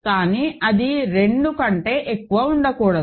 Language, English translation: Telugu, So, but it cannot be more than 2